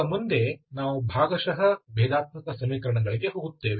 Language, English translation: Kannada, So now onwards we will move onto partial differential equations